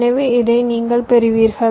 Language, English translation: Tamil, so you get this with